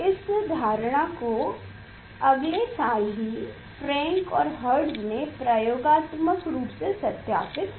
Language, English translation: Hindi, that assumption was experimentally verified by Frank and Hertz immediately next year